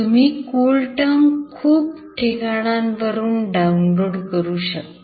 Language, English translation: Marathi, CoolTerm can be downloaded from several sites